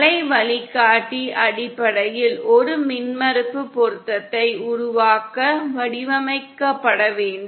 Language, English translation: Tamil, The waveguide has to be basically designed to produce an impedance matching